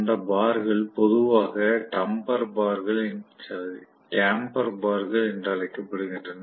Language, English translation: Tamil, Those bars, generally is known as damper bars